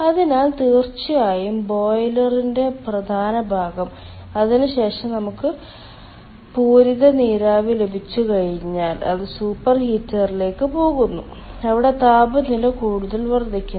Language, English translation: Malayalam, and then after that, once we have got saturated steam, it goes to the super heater where its temperature is further increasing